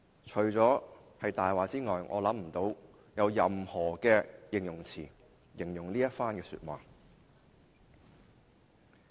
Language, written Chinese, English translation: Cantonese, 除了說這是謊話外，我想不到其他形容詞來描述這番話。, I cannot think of any other word except the word lies to describe this remark of his